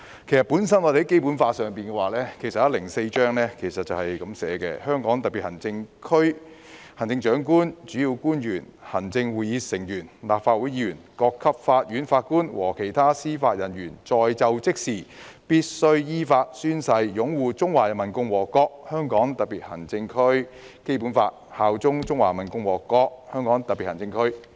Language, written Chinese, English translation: Cantonese, 《基本法》第一百零四條訂明："香港特別行政區行政長官、主要官員、行政會議成員、立法會議員、各級法院法官和其他司法人員在就職時必須依法宣誓擁護中華人民共和國香港特別行政區基本法，效忠中華人民共和國香港特別行政區。, Article 104 of the Basic Law stipulates that When assuming office the Chief Executive principal officials members of the Executive Council and of the Legislative Council judges of the courts at all levels and other members of the judiciary in the Hong Kong Special Administrative Region must in accordance with law swear to uphold the Basic Law of the Hong Kong Special Administrative Region of the Peoples Republic of China and swear allegiance to the Hong Kong Special Administrative Region of the Peoples Republic of China